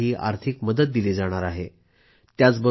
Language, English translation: Marathi, They will be assisted in construction of a house